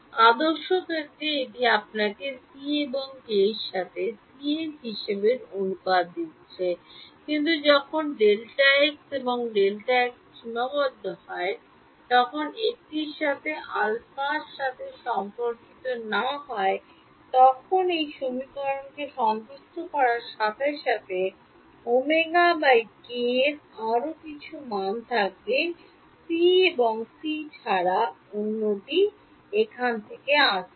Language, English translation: Bengali, In the ideal case it is giving you the ratio between omega and k to be c, but when delta x and delta t are finite and not related with alpha equal to 1 then there will be some other value of omega by k with satisfies this equation other than c, and that other than c is coming from here